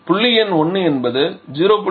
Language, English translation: Tamil, So, we are using 0